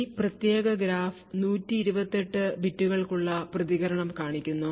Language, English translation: Malayalam, This particular craft shows the response for 128 bits